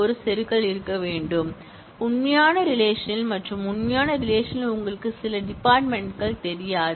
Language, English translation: Tamil, There will have to be an insertion, in the real relation and in the real relation you may not know certain fields